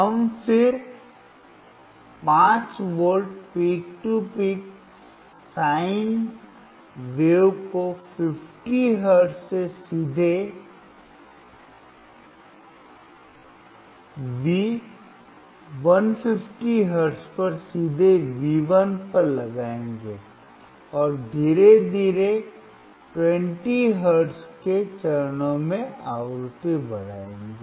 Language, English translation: Hindi, We will again apply a 5 V peak to peak sine wave from 50 hertz directly at V 150 hertz directly at V1 and slowly increase the frequency at steps of 20 hertz